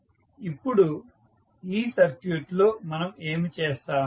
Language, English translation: Telugu, Now, in this particular circuit what we will do